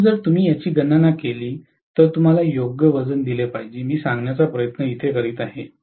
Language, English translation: Marathi, So, either way if you calculate it, you should be given due weightage, that is all I am trying to say